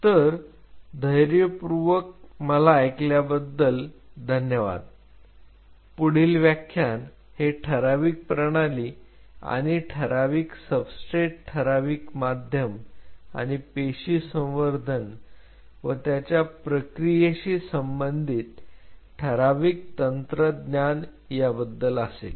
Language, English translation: Marathi, So, thank you for your patience listening next lecture will resume from here define system, and define substrate, define medium, and define techniques of cell culture and their processing